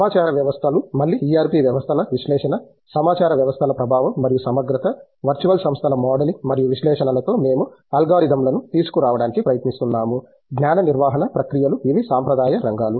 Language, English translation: Telugu, Information systems again, analysis of ERP systems, effectiveness of information systems and integrative; we are trying to come up alogorithms with modeling and analysis of virtual organizations, knowledge management processes these have been the traditional areas